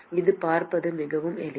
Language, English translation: Tamil, It is very simple to see this